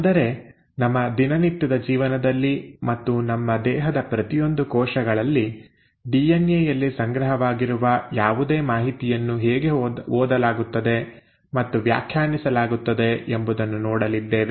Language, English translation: Kannada, Today we are going to talk about one of the most interesting problems in biology and that is, how is it that in our day to day lives and in each and every cell of our body whatever information that is stored in the DNA is read and interpreted